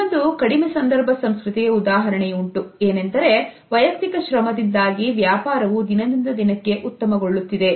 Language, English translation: Kannada, Here is an example of a low context culture, because of a personal effort business is doing better and better